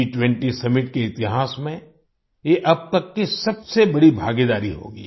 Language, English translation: Hindi, This will be the biggest participation ever in the history of the G20 Summit